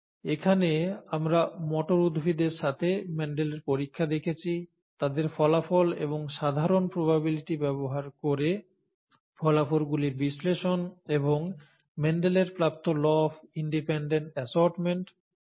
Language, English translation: Bengali, Here we saw Mendel’s experiments with pea plants, their results and analysis of those results using simple probabilities and the law of independent assortment that Mendel found